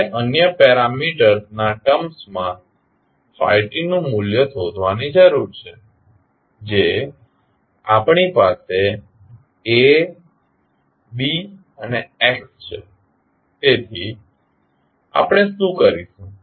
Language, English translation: Gujarati, Now, we need to find out the value of phi t in term of the other parameters which we have like we have A, B and x, so what we will do